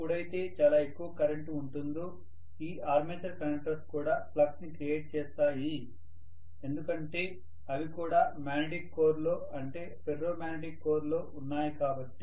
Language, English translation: Telugu, When higher and higher currents are coming, this armature conductors will also create a flux after all they are also placed in a magnetic core, Ferro magnetic core